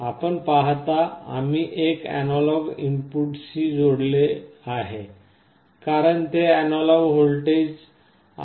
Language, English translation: Marathi, You see we have connected to one of the analog inputs, because it is an analog voltage